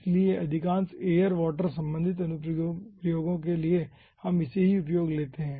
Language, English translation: Hindi, so for most of the air related applications we can consider this: 1